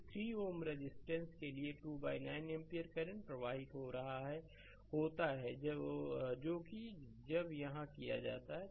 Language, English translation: Hindi, So, to 3 ohm resistance the 2 by 9 ampere current is flowing that is what is when done here right